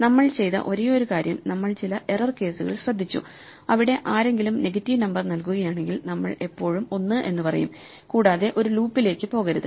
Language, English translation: Malayalam, The only thing we have done is we have taken care of some error case, where if somebody feeds a negative number, we will still say 1, and not go into a loop